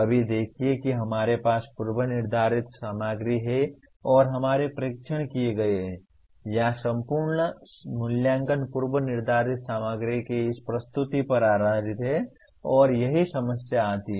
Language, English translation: Hindi, See right now dominantly we have the predetermined content and our tests are done, or entire assessments is based on this presentation of predetermined content and that is where the problem comes